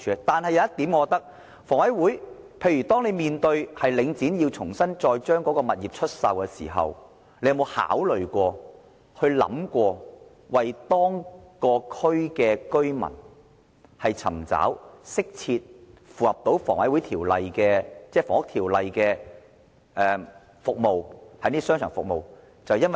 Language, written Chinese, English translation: Cantonese, 但是，有一點是，當領展將物業重新出售的時候，房委會有沒有考慮過為該區居民尋找適切及符合《房屋條例》的商場服務？, However I would like to raise a point . When Link REIT sold the properties did HA ever consider seeking suitable mall services in compliance with the Housing Ordinance for the local residents?